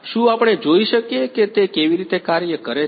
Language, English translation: Gujarati, Can we see how it works